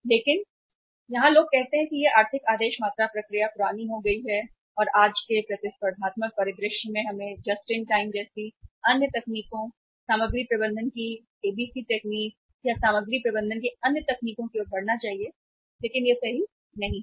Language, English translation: Hindi, But here people say that this economic order quantity process has become obsolete and in today’s competitive scenario we should move to the other techniques like JIT, ABC technique of material management or the other techniques of material management but that is not correct